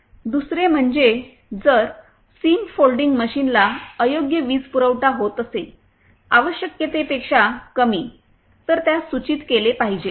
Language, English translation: Marathi, Secondly, in case the seam folding machine is getting improper power supply then it should be notified